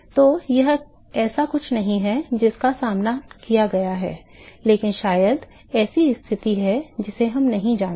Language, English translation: Hindi, So, that is not something it has been encountered, but maybe there is a situation we do not know that all right